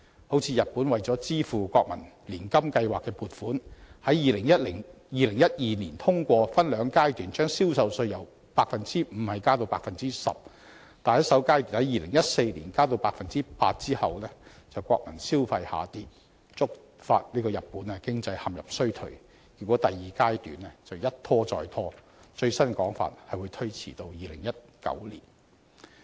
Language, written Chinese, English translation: Cantonese, 好像日本為了支付國民年金計劃的撥款，在2012年通過分兩階段把銷售稅由 5% 加到 10%， 但在首階段2014年把銷售稅增加到 8% 後，國民消費就下跌，觸發日本經濟陷入衰退，結果第二階段的實施時間一拖再拖，最新的說法是會推遲至2019年。, As in the case of Japan an increase of sales tax from 5 % to 10 % in two phases was passed in 2012 to cover the provision for its National Pension Scheme . Yet when the sales tax was increased to 8 % in 2014 in the first phase domestic spending dropped and the Japanese economy fell into recession . As a result the second phase of sales tax increase has been postponed time and again